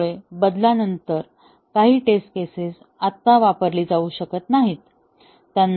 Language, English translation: Marathi, So, some of the test cases cannot be used anymore, after the change